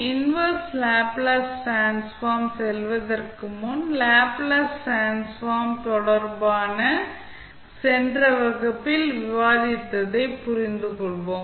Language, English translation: Tamil, Before going into the inverse Laplace transform, let us understand what we discussed in the last class related to the properties of the Laplace transform